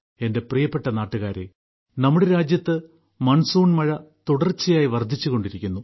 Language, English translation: Malayalam, My dear countrymen, monsoon is continuously progressing in our country